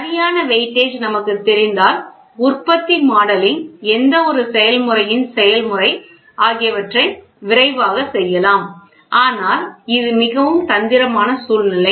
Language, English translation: Tamil, If we know the exact weightage then we can quickly go do manufacturing modelling, process modelling of any process, but this is very a trickier situation